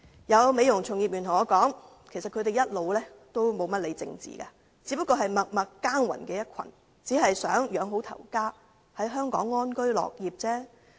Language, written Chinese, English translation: Cantonese, 有美容業從業員告訴我，他們一直沒有怎麼理會政治，只是默默耕耘的一群，只希望養活家庭，在香港安居樂業。, Some practitioners in the beauty industry have told me that they have all along paid little attention to politics . They are just a group of people working hard in silence with a humble wish to support their families and live in peace and work in contentment in Hong Kong